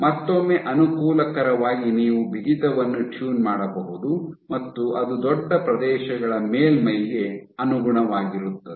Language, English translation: Kannada, So, once again advantages you can tune the stiffness and it conforms to surfaces over large areas